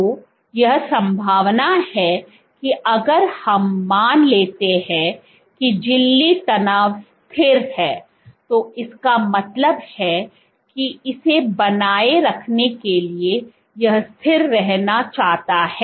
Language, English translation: Hindi, So, what there is a possibility that since so if we assume that membrane tension is constant, so that means, that to maintain if this want to be constant